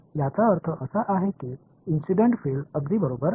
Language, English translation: Marathi, The interpretation is that the incident field is exactly